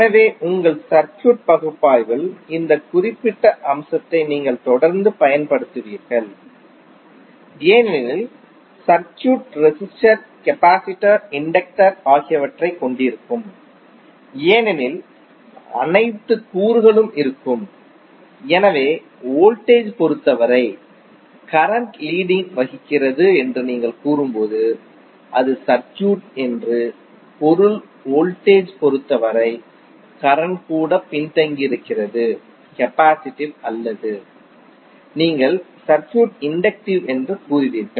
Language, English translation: Tamil, So this particular aspect you will keep on using in your circuit analysis because the circuit will compose of resistor, capacitor, inductor all components would be there, so when you will say that current is leading with respect to voltage it means that the circuit is capacitive or even the current is lagging with respect to voltage you will say the circuit is inductive